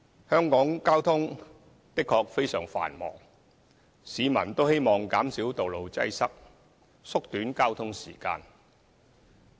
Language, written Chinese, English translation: Cantonese, 香港交通的確非常繁忙，市民都希望減少道路擠塞，縮短交通時間。, Road traffic in Hong Kong is indeed very busy and it is the peoples hope that road traffic congestion can be alleviated to shorten the commuting time